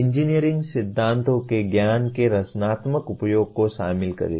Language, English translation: Hindi, Involve creative use of knowledge of engineering principles